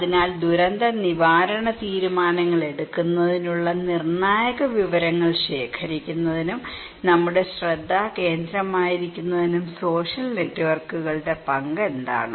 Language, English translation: Malayalam, So, what is the role of social networks to collect, to obtain critical information for making disaster preparedness decisions that would be our focus